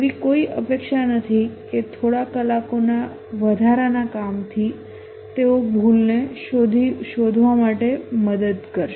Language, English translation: Gujarati, There is no expectancy that a few hours of additional work will help them detect the bug